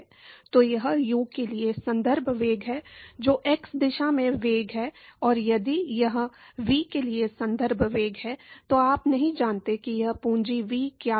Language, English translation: Hindi, So, this is the reference velocity for U that is the velocity in the x direction and if this is the reference velocity for V, this you do not know what this capital V is